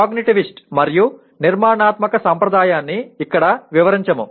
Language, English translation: Telugu, Let us not elaborate on cognitivist and constructivist tradition